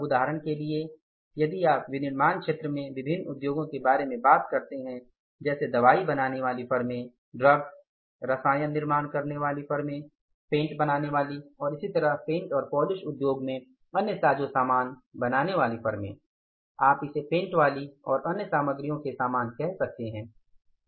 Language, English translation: Hindi, Now for example you talk about the different industries in the manufacturing sector like the firms manufacturing pharmaceutical products, drugs, the firms manufacturing chemicals, firms manufacturing paints and other you can call it as your similarly the other material in the paints industry and polishing material paints and then you talk about the firms who are manufacturing the petrochemical products